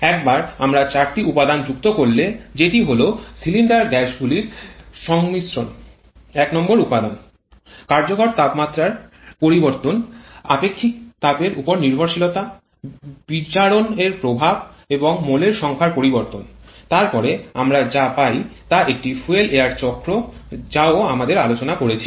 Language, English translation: Bengali, , the composition of cylinder gases factor number one, the variable effective temperature dependence on specific heat, the effect of dissociation and also the change in a number of moles, then what we get that is a fuel air cycle which we have also discussed